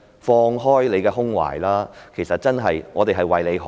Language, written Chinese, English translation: Cantonese, 放開胸懷吧，其實我們真的是為他好。, Come on open your mind . Actually we are doing this really for his good